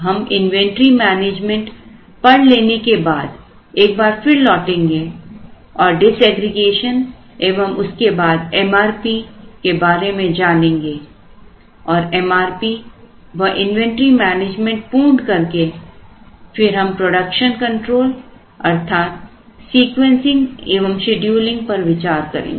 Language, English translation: Hindi, After we study inventory management, we will go back and look at disaggregation and then we will look at MRP and then after MRP is studied and the inventory management is covered